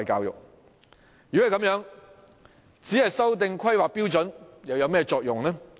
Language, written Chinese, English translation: Cantonese, 如果是這樣，只是修訂規劃標準有何作用呢？, If this saying is true what is the use of merely revising the planning standard?